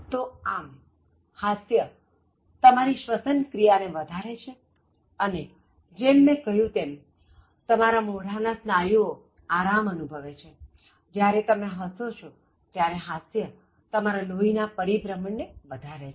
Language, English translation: Gujarati, So, thus laughter will enhance respiration and as I said, you relax many of your face muscles, when you laugh, laughter enhances blood circulation